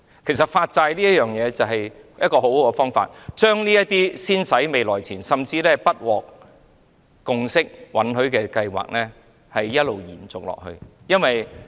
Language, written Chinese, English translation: Cantonese, 其實，發債對當局來說是一個很好的方法，可以先使未來錢，甚至將不獲共識或允許的計劃一直延續下去。, In fact the issuance of bonds is a very good solution for the authorities to make spendings in advance which may also allow the authorities to go ahead with projects which have failed to win a consensus or approval